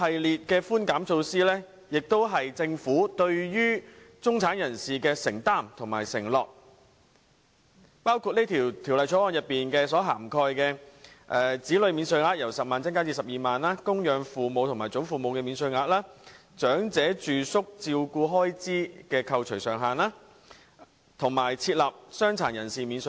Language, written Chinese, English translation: Cantonese, 這些寬減措施是政府對中產人士的承擔和承諾，包括《2018年稅務條例草案》所涵蓋的措施，例如把子女免稅額由10萬元增至12萬元、增加供養父母或祖父母免稅額、提升長者住宿照顧開支的扣除上限，以及設立傷殘人士免稅額。, These concessions are the Governments commitments and promises to the middle class including the measures covered by the Inland Revenue Amendment Bill 2018 the Bill such as increasing the child allowances from 100,000 to 120,000 increasing the dependent parentgrandparent allowances raising the deduction ceiling for elderly residential care expenses and introducing a personal disability allowance